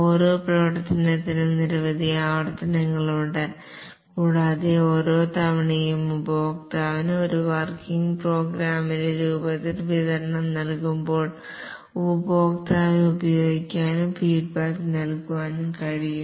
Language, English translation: Malayalam, There are number of iterations for each functionality and each time a deliverable is given to the customer in the form of a working program which the customer can use and give feedback